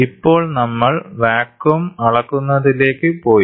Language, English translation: Malayalam, So now, we have gone into a measurement of vacuum